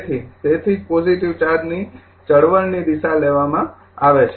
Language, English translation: Gujarati, So, that is why is taken has direction of the positive charge movement